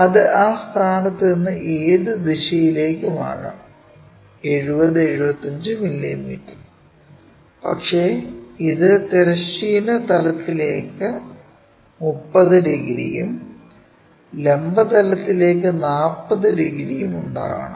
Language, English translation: Malayalam, And, this true line 75 mm, it can be in any direction from that point a 70 75 mm, but it is supposed to make thirty degrees to horizontal plane and 740 degrees to vertical plane